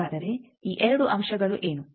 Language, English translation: Kannada, So, what is these 2 points